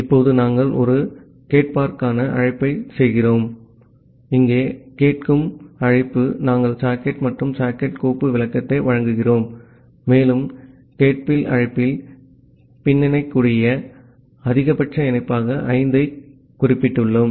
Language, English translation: Tamil, Now we are making a listen call, the listen call here we are providing the socket and socket file descriptor and we have specified 5 as the maximum number of connection that can be backlogged in the listen call